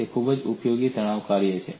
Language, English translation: Gujarati, It is a very useful stress function